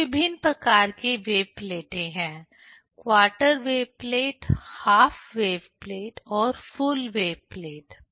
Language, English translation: Hindi, There are different kind of wave plates: the quarter wave plate, the half wave plate, and the full wave plate